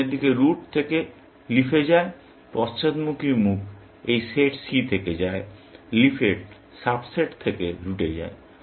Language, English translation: Bengali, Forward face goes from the root to the leaves; the backward face goes from this set c, subset of the leaves, to the root